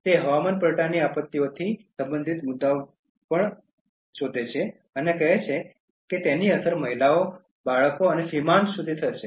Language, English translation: Gujarati, It also rises points related to climate change disasters and says that it will affect the women, the children, and the marginal the most